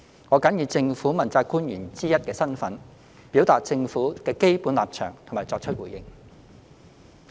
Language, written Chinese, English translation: Cantonese, 我謹以政府問責官員之一的身份，表達政府的基本立場及作出回應。, In my capacity as one of the principal officials of the Government I wish to state the basic stance of the Government and give a response to the subject matter